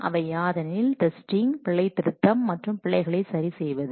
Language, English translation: Tamil, One, testing, then debugging and then correcting the errors